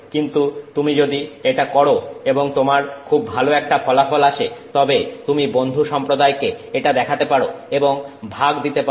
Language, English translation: Bengali, But if you do it, you have a very nice result that you can show and share with the rest of the community